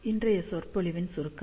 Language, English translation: Tamil, So, to conclude today's lecture